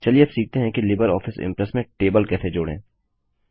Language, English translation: Hindi, Lets now learn how to add a table in LibreOffice Impress